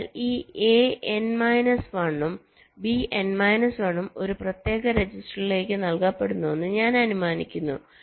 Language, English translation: Malayalam, so so i am assuming this: a n minus one and b n minus one are being fed to a separate register